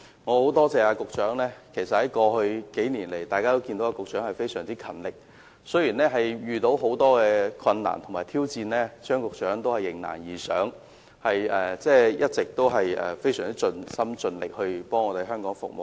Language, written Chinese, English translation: Cantonese, 我很感謝局長，過去數年來，大家都看到他非常勤力，雖然遇到很多困難和挑戰，他仍然迎難而上，一直非常盡心盡力為香港服務。, I am really grateful to the Secretary . Over the past few years as everyone has seen he has been very hard - working . While he has encountered many difficulties and challenges he has taken the bull by the horns and has always put his heart and soul into serving Hong Kong